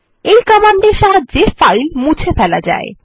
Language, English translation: Bengali, This command is used for deleting files